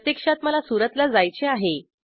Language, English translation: Marathi, So actually i want to go to Surat